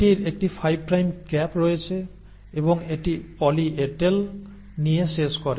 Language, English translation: Bengali, So it has a 5 prime cap, and it ends up having a poly A tail